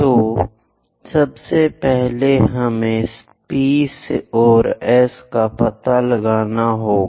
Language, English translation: Hindi, So, first of all, we have to locate P and S